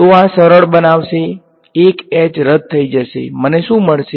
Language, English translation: Gujarati, So, this thing will simplify 1 h will get cancelled, what am I going to get